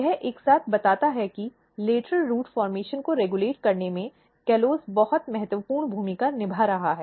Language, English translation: Hindi, This together suggests that callose is playing very, very important role in regulating lateral root formation